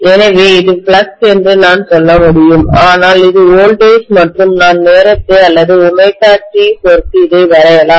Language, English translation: Tamil, So I can say this is flux whereas this is the voltage and I am drawing this with respect to time or omega T, either way is fine, right